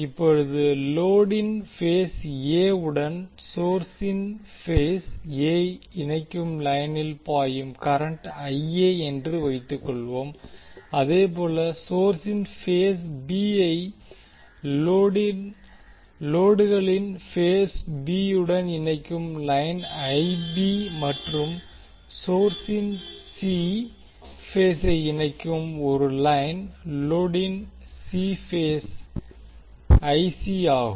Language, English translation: Tamil, Now let us assume that the current which is flowing in the line connecting phase A of the source to load is IA, similarly the line connecting phase B of the source to phase B of the load is IB and a line connecting C phase of the source to C phase of the load is IC